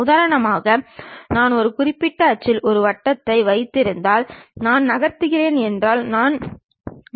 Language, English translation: Tamil, For example, if I am having a circle around certain axis if I am moving maybe I might be going to get a chew